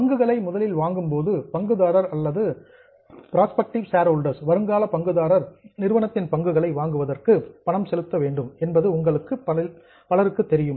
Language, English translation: Tamil, Many of you would be aware that whenever the shares are issued, first of all, the shareholder or a prospective shareholder has to pay to the company